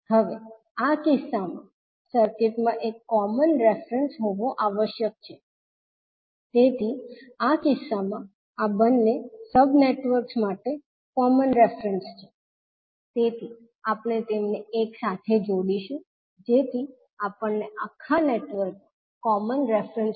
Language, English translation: Gujarati, Now, in this case the circuit must have one common reference, so in this case this is the common reference for both sub networks, so we will connect them together so that we get the common reference of overall network